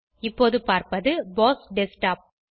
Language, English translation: Tamil, What you are seeing here, is the BOSS Desktop